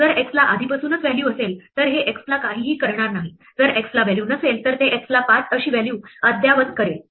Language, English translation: Marathi, If x already has a value this will do nothing to x, if x does not have a value then it will update the value of x to 5